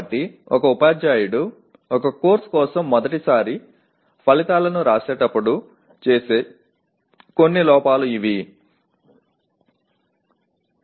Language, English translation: Telugu, So these are some of the errors that a teacher when especially for the first time writing outcomes for a course are likely to commit